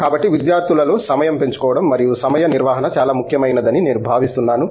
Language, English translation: Telugu, So, I think that kind of time sharing and time management among students is very important